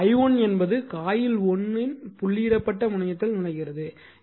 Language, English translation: Tamil, Now, similarly now that is I that is i1 enters the dotted terminal of coil 1